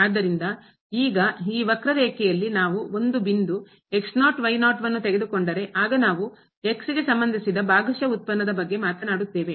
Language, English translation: Kannada, So, now, here on this curve if we take a point for example, naught naught and we are talking about the partial derivative with respect to